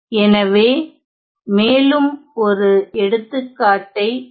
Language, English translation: Tamil, So, let us look at one more example